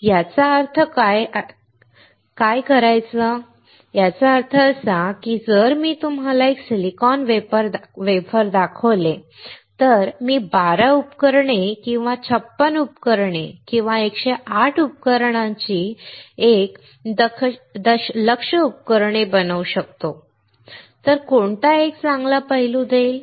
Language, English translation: Marathi, It means that if I show you a silicon wafer if I can make 12 devices or 56 devices or 108 devices one million devices, which will give you a better aspect